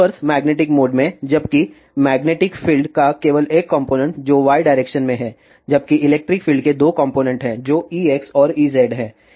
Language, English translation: Hindi, So, in the ah transverse electric mode there is only one component of electric field which is in y direction and there are two components of magnetic fields which are in X direction and Z direction H x and H z